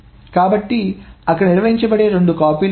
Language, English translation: Telugu, So these are the two copies that are maintained